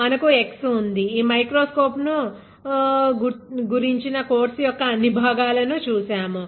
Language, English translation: Telugu, We have x, we have see seen about this microscope and all in the part of this course